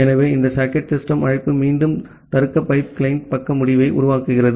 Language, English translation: Tamil, So, this socket system call again create a client side end of the logical pipe